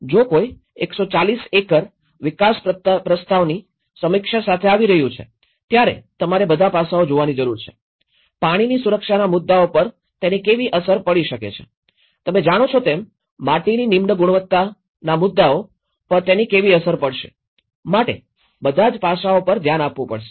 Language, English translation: Gujarati, If someone is coming with 140 acre development proposal review, so you need to look at the all aspects, how it may have an impact on the water security issues, how it will have an impact on the soil degradation issues you know, that is all the aspects has to be looked in